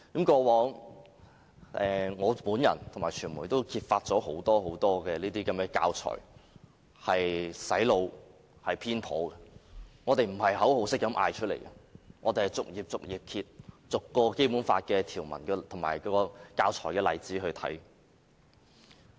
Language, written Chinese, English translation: Cantonese, 過往，我和傳媒也曾揭發這些教材很多都是用來"洗腦"和內容偏頗的，我們不是隨便喊口號的，而是逐頁翻開，逐項《基本法》條文和教材的例子來檢視的。, The media and I have both been uncovering many biased materials that are intended for brainwashing . We do not chant any empty slogans . We have been studying the Basic Law page by page and examining the provisions in conjunction with the teaching materials